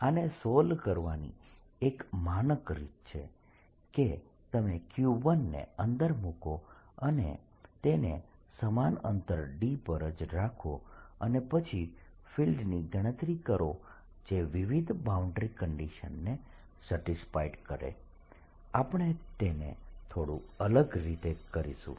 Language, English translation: Gujarati, a standard way of solving this is that you take this q, put a q inside, which is q one at the same distance d and then calculate the field and satisfy various boundary conditions